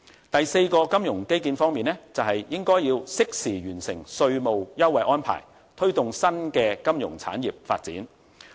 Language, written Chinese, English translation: Cantonese, 第四個金融基建方面，就是應適時完成稅務優惠安排，推動新的金融產業發展。, The fourth thing about the financial infrastructure is to complete the tax concession arrangement in a timely manner so as to make it a driving force to promote the development of a new financial industry